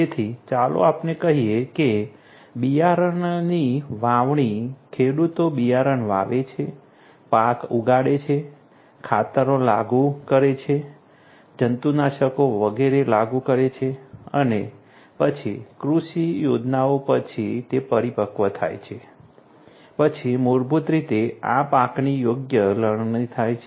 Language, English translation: Gujarati, So, let us say that sowing of seeds, sowing seeds the farmers are going to sow seeds, grow crops, apply fertilizers, apply pesticides, etcetera and then after the agricultural plans they become matured, then basically these crops are harvested right